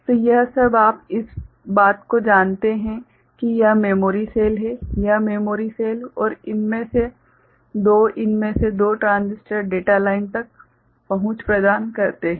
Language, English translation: Hindi, So, this over all you know these thing this memory cell; this memory cell and two this two of these transistors providing access to the data line ok